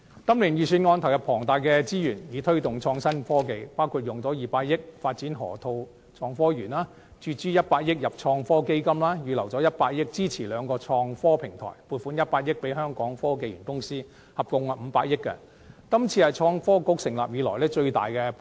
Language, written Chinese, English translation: Cantonese, 今年的預算案投入龐大資源推動創新科技，包括以200億元發展河套港深創新及科技園、注資100億元到創新及科技基金、預留100億元支持兩個創科平台，以及撥款100億元予香港科技園公司，合共500億元，是創新及科技局成立以來最大筆撥款。, This years Budget invests abundant resources in promoting innovation and technology including allocating 20 billion to the development of the Hong Kong - Shenzhen Innovation Technology Park in the Lok Ma Chau Loop; allocating 10 billion to the Innovation and Technology Fund; earmarking 10 billion for supporting two technology research clusters; and allocating 10 billion to the Hong Kong Science and Technology Parks Corporation . The provision totalling 50 billion is the largest since the establishment of the Innovation and Technology Bureau